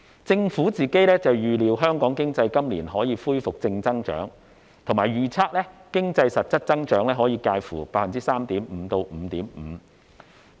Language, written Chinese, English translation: Cantonese, 政府預料香港經濟今年可以恢復正增長，並預測經濟實質增長可以介乎 3.5% 至 5.5%。, The Government expects that the Hong Kong economy will resume positive growth this year and register an actual growth rate between 3.5 % and 5.5 %